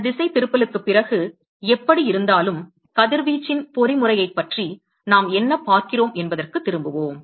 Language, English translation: Tamil, Any way after this digression, so, let us go back to the what we are looking at so the mechanism of radiation